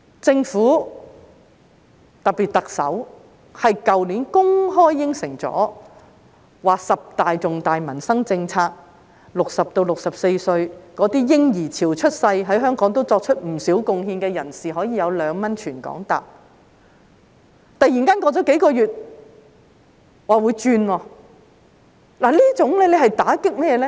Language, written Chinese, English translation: Cantonese, 政府在去年公開答應了十大重大民生政策，讓60歲至64歲那些在嬰兒潮出生、在香港作出不少貢獻的人士，可以用2元在全港乘坐公共交通工具，突然間過了數月說會轉變，此舉措打擊誰呢？, Last year the Government especially the Chief Executive publicly promised 10 major policies on peoples livelihood which would allow those aged 60 to 64 who were born in the baby boom and have contributed a lot to Hong Kong to travel on public transport across the territory at a fare of 2 . A few months later it was suddenly said that there would be a change of policy . Who will be hit by this change?